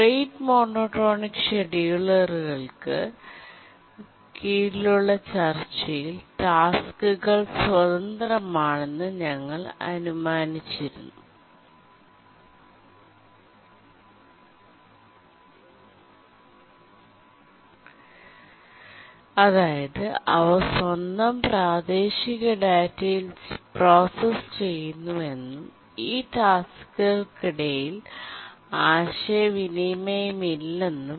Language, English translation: Malayalam, But in our discussion on the rate monotonic schedulers, we had assumed the tasks are independent in the sense that they process on their own local data and there is no communication whatever required among these tasks